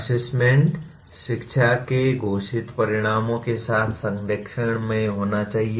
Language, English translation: Hindi, Assessment should be in alignment with stated outcomes of education